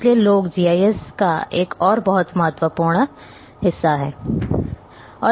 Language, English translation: Hindi, So, people are another very important component of GIS